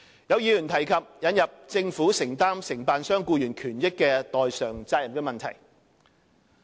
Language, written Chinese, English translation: Cantonese, 有議員提及引入政府承擔承辦商僱員權益的代償責任的問題。, Some Members have mentioned the idea that the Government should be vicariously liable for the rights and benefits of employees of contractors